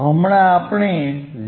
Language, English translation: Gujarati, So that, 0